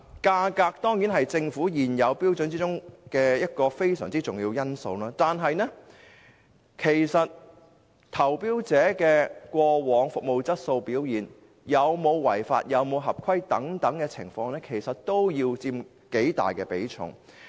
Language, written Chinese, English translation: Cantonese, 價格當然是在政府現有標準中一個非常重要的因素，但投標者過往的服務質素和表現、有否違法、是否合規等情況也應佔頗大比重。, The price is certainly a very important factor in the existing criteria of the Government but the tenderers quality of service and performance in the past whether there has been any non - compliance whether it meets the requirements etc . should also be given substantial weightings